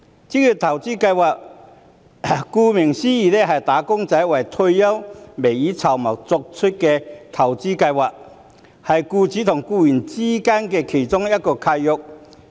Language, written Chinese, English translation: Cantonese, 職業投資計劃，顧名思義就是"打工仔"為退休未雨綢繆而作出的投資計劃，是僱主與僱員間的契約。, Occupational investment schemes as the name suggests are investments schemes formulated for wage earners in preparation for retirement and they are agreements between employers and employees